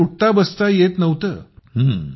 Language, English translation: Marathi, Couldn't get up at all